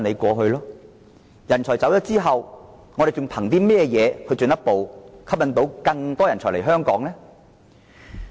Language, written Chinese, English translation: Cantonese, 當人才離開後，香港還能憑甚麼吸引更多人才來港呢？, On what strengths can Hong Kong lure more talents after they have left Hong Kong?